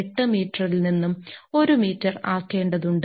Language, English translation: Malayalam, 248 meter to 1 meter